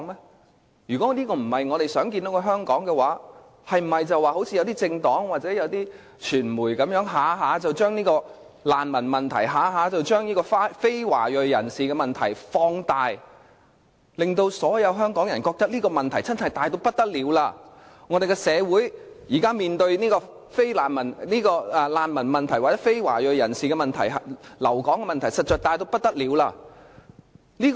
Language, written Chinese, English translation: Cantonese, 當然不是，但我們是否就應如一些政黨或傳媒般，動輒把難民問題、非華裔人士的問題放大，令所有香港人覺得這個問題真的十分嚴重，香港社會現時面對難民或非華裔人士留港的問題實在十分嚴重？, Certainly not . But then is this a justified reason to frequently exaggerate the problem of bogus refugees or non - ethnic Chinese like what some political parties or mass media have done to such an extent that all Hong Kong people are misled to think that this is a very serious problem?